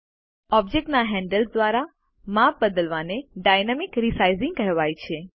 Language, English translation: Gujarati, Resizing using the handles of an object is called Dynamic Resizing